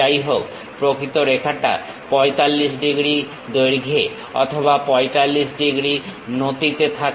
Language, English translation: Bengali, However, the actual line is at 45 degrees length or 45 degrees inclination